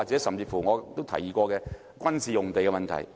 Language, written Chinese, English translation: Cantonese, 甚至我也提議過，有關軍事用地的問題？, I have even brought out the question of military sites